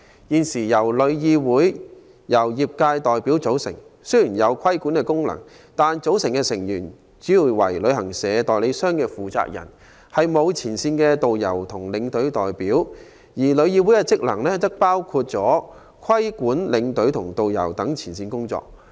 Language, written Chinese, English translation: Cantonese, 現時香港旅遊業議會由業界代表組成，雖然有規管功能，但卻主要由旅行社、旅行代理商負責人組成，沒有前線導遊和領隊代表。旅議會的職能，包括規管領隊及導遊等前線員工。, Although the existing Travel Industry Council of Hong Kong TIC composed of trade members has a regulatory function most of its members are persons - in - charge of travel agents with no representatives from frontline tourist guides and tour escorts